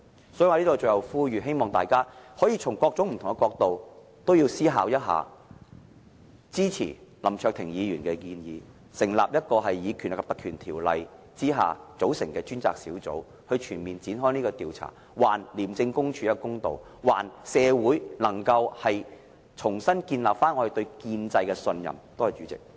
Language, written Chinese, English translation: Cantonese, 因此，我在此作最後呼籲，希望大家可以從各種不同的角度思考一下，是否支持林卓廷議員的建議，引用《條例》，成立一個專責委員會，展開全面調查，還廉署一個公道，讓社會恢復對建制的信任。, Therefore I am calling on Members for the last time and hope Members can consider the matter from various perspectives and see if they can support Mr LAM Cheuk - tings proposal by setting up a select committee and launching a comprehensive investigation under the Legislative Council Ordinance so that we can see justice to be done to ICAC and to restore public confidence to the establishment